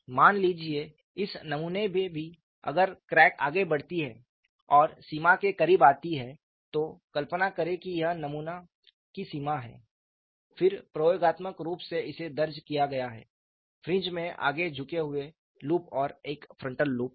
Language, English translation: Hindi, Suppose in this specimen also if the crack advances and comes closer to the boundary, imagine that this is the boundary of the specimen, then again experimentally it is recorded, and the fringes have forward tilted loops and a frontal loop